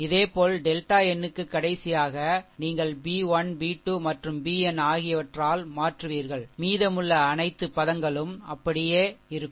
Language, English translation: Tamil, Similarly, for the delta n the last one, the last one you replace by b 1, b 2 and b n, rest of the all a element will remain same